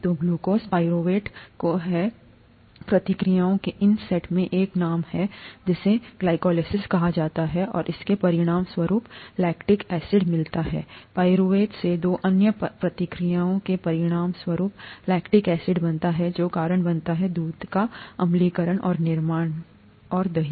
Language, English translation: Hindi, So glucose to pyruvate, has, these set of reactions has a name it’s called glycolysis and as a result of this lactic acid gets formed as a result of two other reactions from pyruvate, lactic acid gets formed which causes acidification and formation and curdling of milk